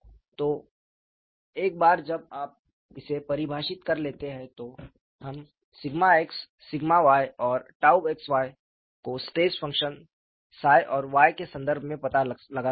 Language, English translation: Hindi, So, once you define this, we can find out sigma x, sigma y and tau xy in terms of the stress function psi and y